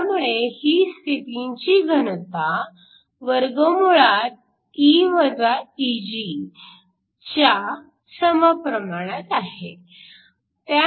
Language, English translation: Marathi, So, this is density of states is proportional to E Eg